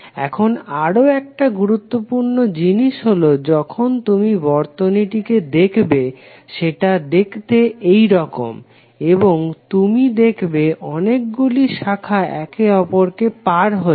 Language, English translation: Bengali, Now, another important thing is that sometimes when you see the circuit it looks like this circuit right and you will see that lot of branches are cutting across